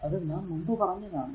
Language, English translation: Malayalam, That we have discussed before, right